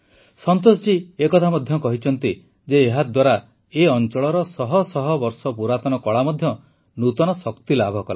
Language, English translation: Odia, Santosh ji also narrated that with this the hundreds of years old beautiful art of this region has received a new strength